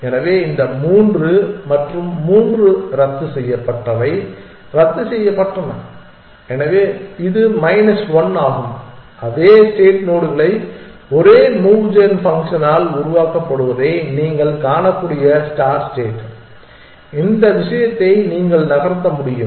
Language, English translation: Tamil, So, this three and three canceled out this canceled out, so this is minus 1, the start state you can see the same force nodes are generated by the same move gun function which is that you can move this thing